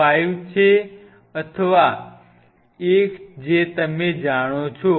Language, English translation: Gujarati, 5 or one whatever you know